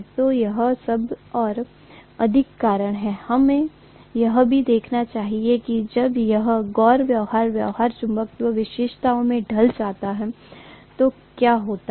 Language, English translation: Hindi, So that’s all the more reason, we should also take a look at what happens when this non linear behavior creeps in into the magnetization characteristics, okay